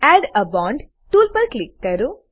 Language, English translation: Gujarati, Click on Add a bond tool